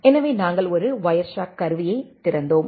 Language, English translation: Tamil, So, we opened a Wireshark tool